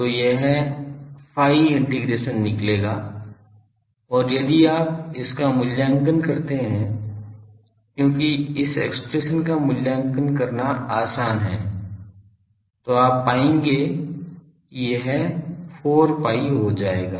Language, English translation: Hindi, So, this phi integration will come out and if you evaluate this because this expression is easy to evaluate, you will find that it will turn out to be 4 pi